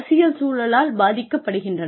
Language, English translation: Tamil, They are influenced by the political environment